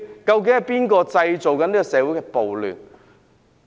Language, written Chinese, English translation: Cantonese, 究竟是誰製造社會的暴亂？, Who has created riots in society?